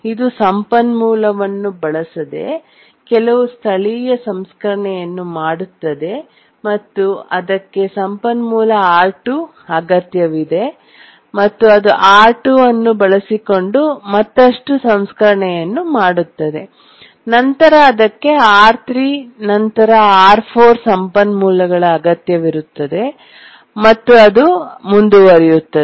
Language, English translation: Kannada, It does some local processing without using resource, then it needs the resource R2 and then it does further processing using R2, then it needs R3, then it needs R4 and so on